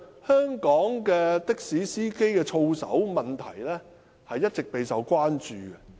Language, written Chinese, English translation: Cantonese, 香港的士司機的操守問題，一直備受關注。, This situation is undesirable . The conduct of Hong Kong taxi drivers has all along been a cause of concern